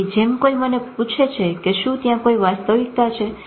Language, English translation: Gujarati, So somebody asked me, is there any reality